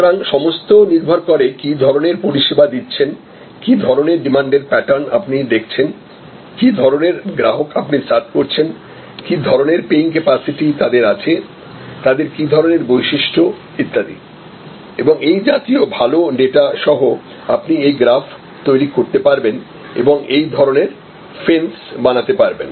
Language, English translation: Bengali, So, all will depend on what is your service what kind of demand patterns you observe, what kind of people you serve with, what kind of paying capacity, what kind characteristics and so on, with all these good data you can, then create this graph and then you can create this fences